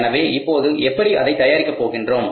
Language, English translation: Tamil, So, now how to prepare it